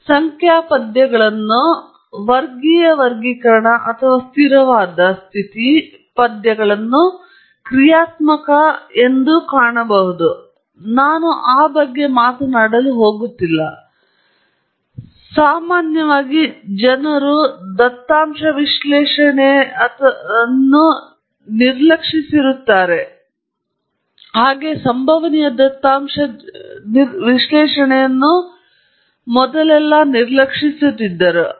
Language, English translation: Kannada, For example, you may find numerical verses categorical classification or steady state verses dynamic and so on, but I am not going to really talk about those, because that’s definitely important, but what is more important which people often ignore, at least beginners, in data analysis often ignore is this classification of deterministic verses random or stochastic data